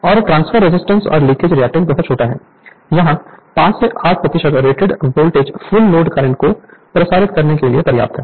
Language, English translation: Hindi, And transfer resistance and leakage reactance are very small; here 5 to 8 percent of rated voltage is sufficient to circulate the full load current